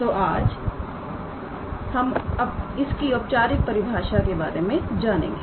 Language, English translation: Hindi, So, we will start with a formal definition what do they actually mean